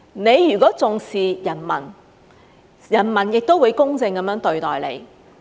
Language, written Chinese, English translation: Cantonese, 你如果重視人民，人民亦會公正地對待你。, If you value the people the people will also treat you justly